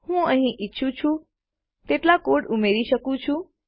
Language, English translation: Gujarati, I can put as much code here as I want